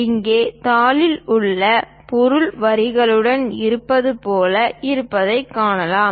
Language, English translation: Tamil, Here, we can see that the object on the sheet looks like that with lines